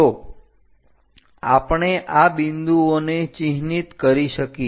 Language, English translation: Gujarati, So, we can mark these points